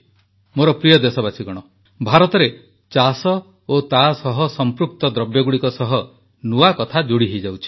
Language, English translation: Odia, new dimensions are being added to agriculture and its related activities in India